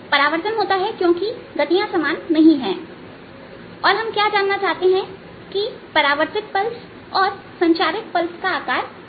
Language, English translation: Hindi, right, reflection comes because the velocities are not matching and what we want to know is that what will be the shape of the pulse, of the transmitted pulse and the reflected pulse